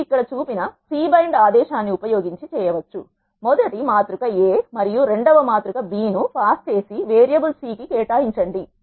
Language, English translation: Telugu, You can do so by using the C bind command which is shown here C by pass the first matrix A and second matrix B and assign it to the variable C